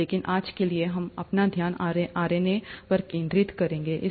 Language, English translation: Hindi, But for today, we’ll focus our attention on RNA